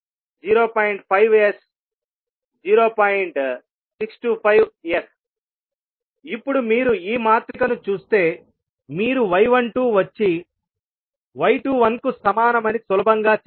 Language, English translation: Telugu, Now, if you see this particular matrix you can easily say y 12 is equal to y 21